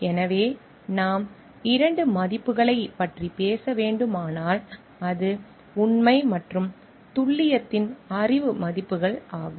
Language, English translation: Tamil, So, if we have to talk of two values, it is the knowledge values of truth and accuracy